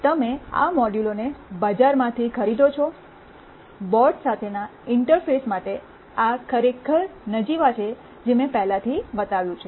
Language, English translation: Gujarati, You buy these modules from the market, these are really trivial to interface with the boards as I have already shown